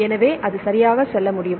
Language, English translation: Tamil, So, it can go right